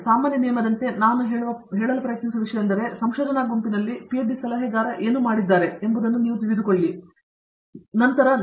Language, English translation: Kannada, But, as a general rule what I have tried to do is of course, you know emulate what my PhD adviser did in our research group